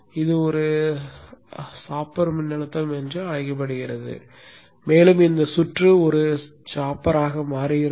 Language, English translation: Tamil, So it's called a chopper voltage and this circuit becomes a chopper